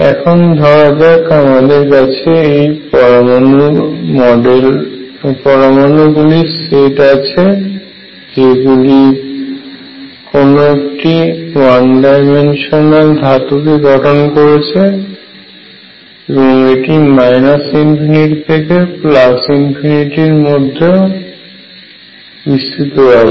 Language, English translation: Bengali, So, suppose we have this set of atoms which are forming a one dimensional metal and this is extending from minus infinity to infinity